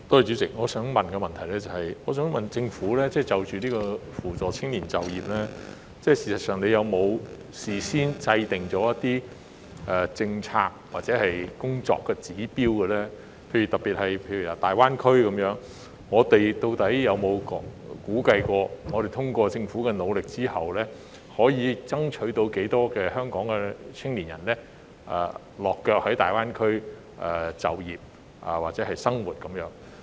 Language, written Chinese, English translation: Cantonese, 主席，我的補充質詢是，政府就扶助青年就業方面，有否事先制訂一些政策或工作指標，以大灣區為例，當局究竟有否估計經政府努力後，可以爭取多少香港青年在大灣區落腳、就業或生活？, President my supplementary question is Has the Government formulated any policy or performance indicators in advance for assisting young people in securing employment taking GBA as an example and have the authorities estimated the number of young people who can settle work or live in GBA as a result of the work of the Government?